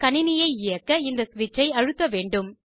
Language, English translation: Tamil, To turn on the computer, one needs to press this switch